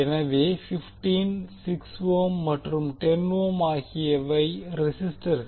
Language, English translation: Tamil, So 15, 6 ohm and 10 ohm are the resistors